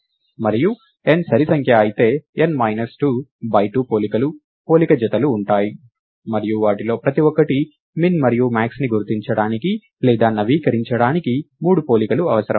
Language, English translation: Telugu, And if n is even, there will be n minus 2 by 2 comparisons, comparison pairs and each of them requires 3 comparisons to identify or update the minimum and maximum